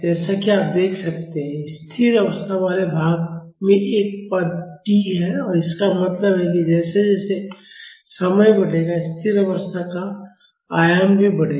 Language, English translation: Hindi, As you can see, the steady state part has a term t so; that means, as the time increases, the steady state amplitude will also increase